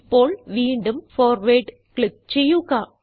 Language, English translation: Malayalam, Now, click on Forward again